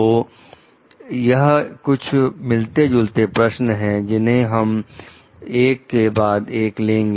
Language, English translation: Hindi, So, these are certain questions relevant to it, we will take up one by one